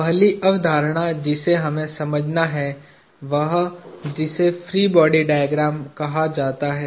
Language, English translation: Hindi, The first concept that we have to understand is what is called a free body diagram